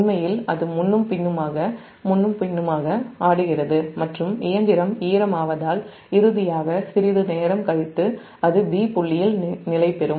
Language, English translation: Tamil, it will swing back and forth, back and forth and, because of the machine damping, finally, after some time it will settle to point b